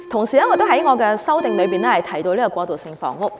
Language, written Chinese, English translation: Cantonese, 此外，我的修正案也提到過渡性房屋。, In addition my amendment also mentions transitional housing